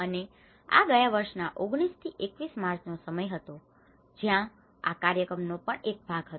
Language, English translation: Gujarati, And this was similar time last year 19 to 21st of March whereas also part of this program